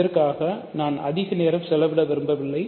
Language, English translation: Tamil, So, I have do not want to spend a lot of time on this